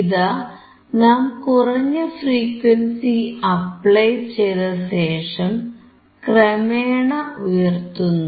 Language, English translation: Malayalam, Now we will apply low frequency, and we keep on increasing to the high frequency